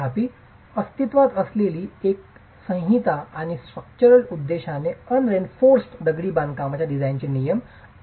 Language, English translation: Marathi, However, the other code that has been in existence and regulates the design of unreinforced masonry for structural purposes is 1905